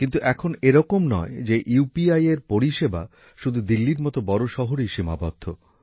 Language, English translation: Bengali, But now it is not the case that this spread of UPI is limited only to big cities like Delhi